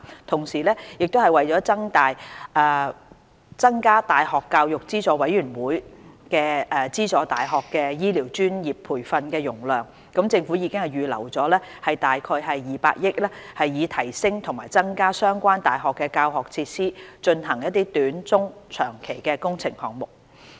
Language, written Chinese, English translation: Cantonese, 同時，為了增加大學教育資助委員會資助大學的醫療專業培訓容量，政府已預留約200億元，以提升和增加相關大學的教學設施，進行短、中及長期的工程項目。, At the same time with a view to expanding the capacity for professional health care training of University Grants Committee UGC - funded universities the Government has earmarked about 20 billion for short - medium - and long - term works projects to upgrade and increase the teaching facilities of the relevant universities